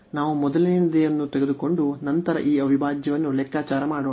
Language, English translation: Kannada, So, let us take the first one and then compute this integral